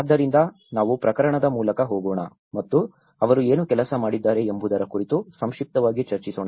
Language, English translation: Kannada, So, let us go case by case and briefly discuss about what they have worked on